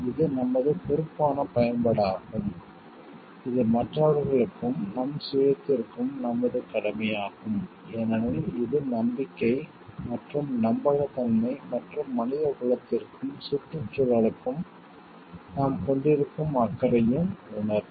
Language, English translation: Tamil, It is our responsible use, it is our duty to others and to our self also because, it is a relationship of trust and trustworthiness and a sense of care that we have for the humanity and to the environment to the whole like connections at large